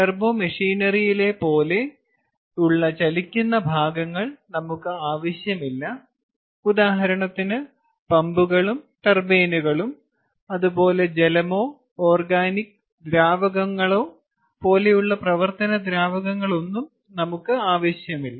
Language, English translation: Malayalam, we dont need moving parts of turbo machinery ah, for example, pumps and turbines, ah, neither do we need boiling wa, any working fluid like water or organic rankine or organic fluids and so on